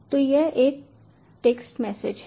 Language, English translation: Hindi, so this is a text message